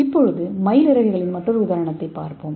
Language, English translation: Tamil, So let us see another example peacock feathers